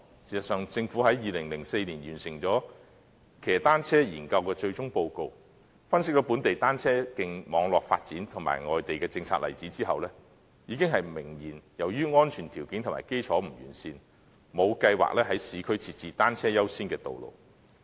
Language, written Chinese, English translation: Cantonese, 事實上，政府在2004年完成騎單車研究的最終報告，分析本地單車徑網絡發展及外地政策例子後，已經明言由於安全條件和基礎不完善，故沒有計劃在市區設置單車優先的道路。, In fact after completing the final report on cycling study and analysing the development of local cycle track networks the Government has made it clear that due to the safety conditions and unsatisfactory foundation it does not have plans to designate priority lanes for bicycles in the urban areas